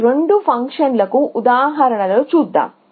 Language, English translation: Telugu, So, let us look at examples of both this functions